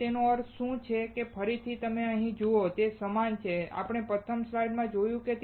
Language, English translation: Gujarati, So, what does that mean and again you see here, it is similar to what we have seen in the first slide